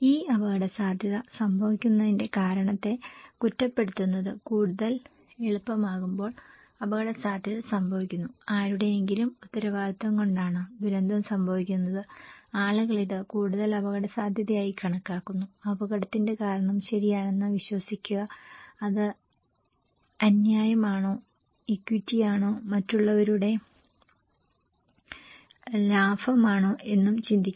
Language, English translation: Malayalam, And when it is more easy to blame the reason that why this risk is happening, risk is taking place, disaster is taking place is because of someone’s responsibility people consider this as more higher risk and believe the cause of risk okay, is it unfair, equity, profit of others